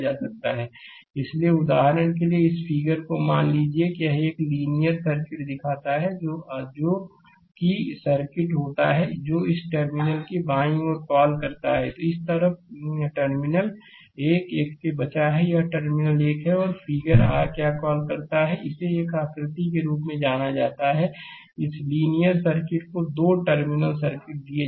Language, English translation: Hindi, So, for example, suppose this figure this thing it shows a linear circuit that is circuit to the your what you call left of this terminal this side this side left of the terminal this 1 2, this is terminal 1 and 2 in figure your what you call is known as this is a figure, this linear circuit is given two terminal circuit